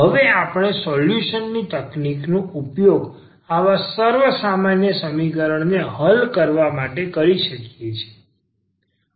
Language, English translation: Gujarati, And now we have the solution technique which we can use for solving this such a homogeneous equation